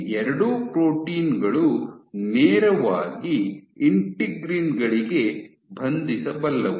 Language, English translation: Kannada, Both of these proteins can directly bind to integrins